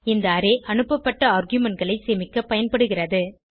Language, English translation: Tamil, This array is used to store the passed arguments